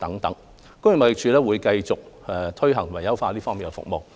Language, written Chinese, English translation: Cantonese, 工業貿易署會繼續推行及優化這方面的服務。, TID will continue to implement and enhance services in this area